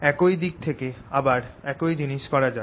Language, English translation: Bengali, let's do it again from the same side